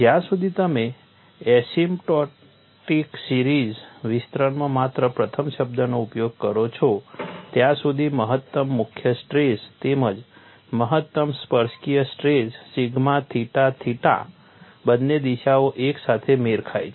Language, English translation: Gujarati, As long as a use only the first term in the asymptotic series expansion, the maximum principal stress as well as maximum tangential stress sigma theta theta, both the directions coincide